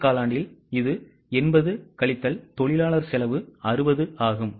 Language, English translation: Tamil, In the first quarter it is 80 minus labour cost which is 60